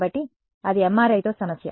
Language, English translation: Telugu, So, that is the problem with MRI